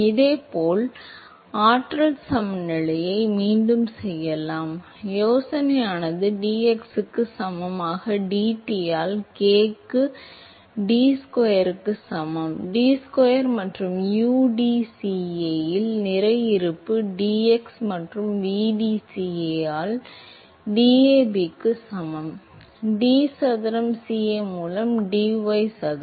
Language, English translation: Tamil, And similarly, we can do for energy balance again, the idea is same dT by dx equal to k into d squareT by d y square and mass balance at the udCa by dx plus vdCa by dy that is equal to DAB into d square Ca by dy square